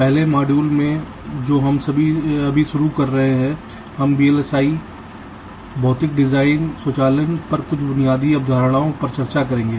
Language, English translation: Hindi, ah, in the first module that we shall be starting now, we shall be discussing some of the basic concepts on v l s i physical design automation